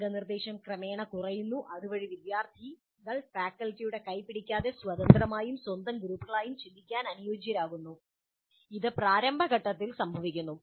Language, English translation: Malayalam, And guidance is reduced progressively so that students get adapted to thinking independently and in groups of their own without the kind of handholding by the faculty which happens in the initial stages